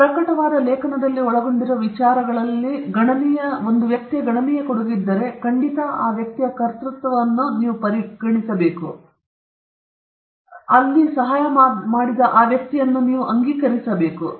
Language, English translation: Kannada, If there is substantial contribution in the development of the ideas involved in the paper, which is published, you should definitely consider giving that person authorship, but if there is no substantial contribution, but only help here and there, then you can just acknowledge that person